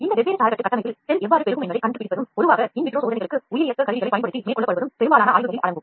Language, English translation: Tamil, Much of the study involves finding out how cell proliferates in these different scaffold architecture and are usually carried out using bioreactors for in vitro experiments